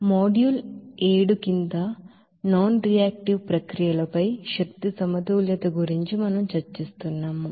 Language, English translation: Telugu, So we are discussing about the energy balances on nonreactive processes under module seven